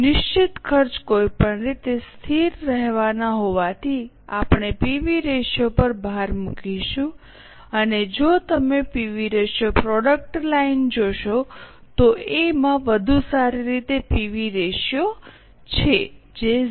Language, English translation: Gujarati, Since fixed costs are anyway going to remain constant, we will emphasize on PV ratio and if you look at the PV ratio, product line A has a better PV ratio, which is 0